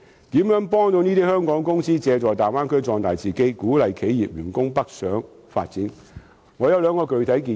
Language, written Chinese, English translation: Cantonese, 如何幫助香港公司借助大灣區壯大自己，鼓勵企業員工北上發展，我有兩項具體建議。, I have two specific proposals on assisting Hong Kong companies in using the Bay Area to strengthen themselves while also encouraging their staff to go northwards to seek development